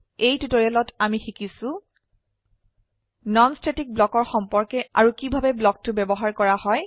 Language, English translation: Assamese, In this tutorial we will learn About non static block When a non static block executed